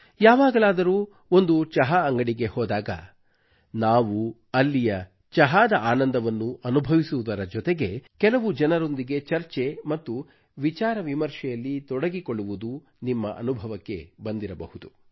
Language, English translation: Kannada, You must have realized that whenever we go to a tea shop, and enjoy tea there, a discussion with some of the customers automatically ensues